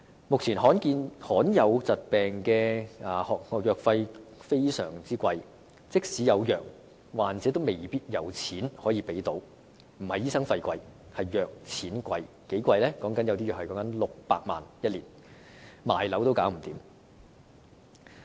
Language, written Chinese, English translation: Cantonese, 目前，罕見疾病的藥費相當高昂，即使有藥，患者也未必可以負擔，問題並非醫生費用昂貴，而是藥物昂貴，究竟有多貴呢？, At present the costs of medication for rare diseases are exorbitantly high and despite the availability of medicines the patients may not be able to afford them not because the doctors fees are expensive but because the medicines are expensive . How expensive are they?